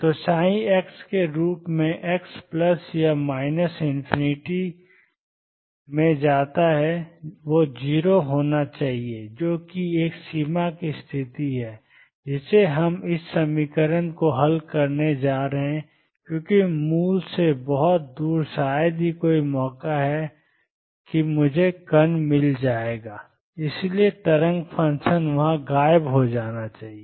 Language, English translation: Hindi, So, psi x as x goes to plus or minus infinity should be 0 that is a boundary condition we are going to solve this equation with because far away from the origin is hardly any chance that I will find the particle and therefore, the wave function must vanish there